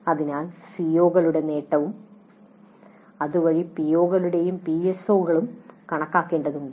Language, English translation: Malayalam, So we need to compute the attainment of COs and thereby POs and PSOs